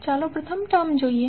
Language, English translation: Gujarati, Let us see the first term